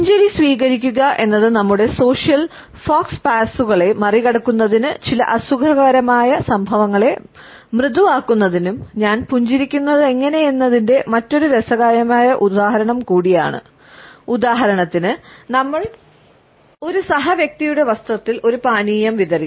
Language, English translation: Malayalam, And embrace the smile is also another interesting example of how I smile enables us to overcome our social faux pas as well as to smoothen over certain uncomfortable incidents for example, we have spilt a drink on the dress of a fellow person